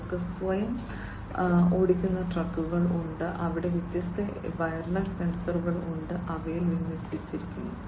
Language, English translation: Malayalam, They have self driving trucks, where there are different wireless sensors, that are deployed in them